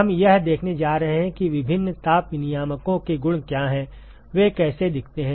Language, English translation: Hindi, We are going to see what are the properties of different heat exchangers, how they look like